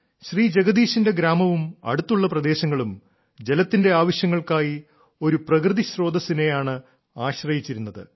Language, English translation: Malayalam, Jagdish ji's village and the adjoining area were dependent on a natural source for their water requirements